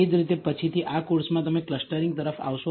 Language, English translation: Gujarati, Similarly, later on in this course you will come across clustering